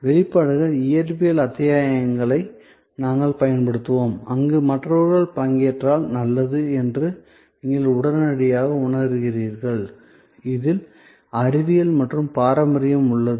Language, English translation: Tamil, We will use expressions, physical episodes, where you immediately feel that this will be good, other people have taken part, there is science and heritage involved